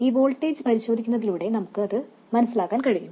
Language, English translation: Malayalam, We can also understand that by examining this voltage